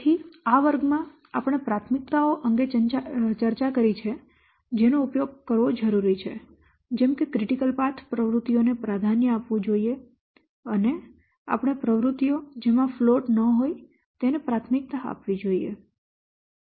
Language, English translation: Gujarati, So, in this class we have discussed from the priorities that might be applied while monitoring different activities such as we should give top priority to the critical path activities and we should also give priorities to the activities having no float and etc